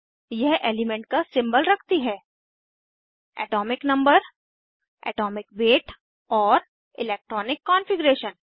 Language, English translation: Hindi, * It has Symbol of the element, * Atomic number, * Atomic weight and * Electronic configuration